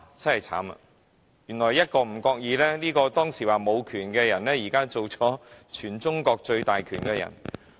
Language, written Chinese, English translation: Cantonese, 真的糟糕，當時被指沒有權的人，現卻已成為全中國權力最大的人。, But ironically I must say the powerless person is now the most powerful man in China